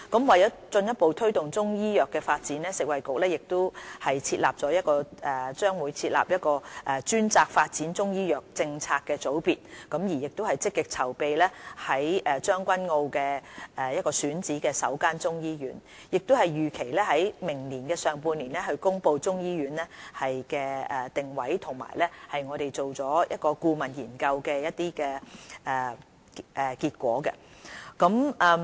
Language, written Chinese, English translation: Cantonese, 為了進一步推動中醫藥的發展，食物及衞生局將會成立專責發展中醫藥政策的組別，亦積極籌備將軍澳選址的首間中醫醫院，並預期於明年上半年公布中醫醫院的定位和有關顧問研究的結果。, As a further boost the Food and Health Bureau will set up a dedicated unit to oversee Chinese medicine development and is actively planning for the first Chinese medicine hospital at a site in Tseung Kwan O . Moreover a report on the positioning of the Chinese medicine hospital and the results of relevant consultancy study is expected to be released in the first half of 2018